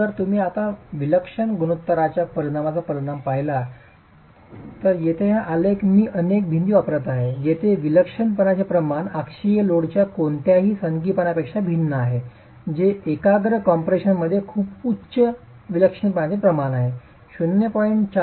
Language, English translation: Marathi, So, if you look at the effect of eccentricity ratio now, this graph here is making use of I would say several walls where the eccentricity ratio is varying from no eccentricity of the axial load which is concentric compression to a very high eccentricity ratio of E by T of 0